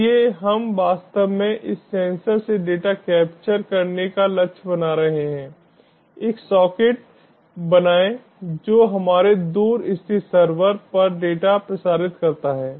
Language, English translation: Hindi, so we are actually aiming to capture data from this sensor, create a socket, transmit a data to our remotely located server